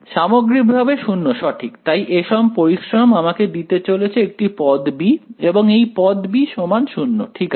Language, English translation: Bengali, Overall 0 right; so, all of this hard work is going to give term b right, term b is equal to 0 ok